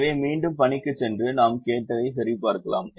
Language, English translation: Tamil, so let's go back to the assignment and check what we did hear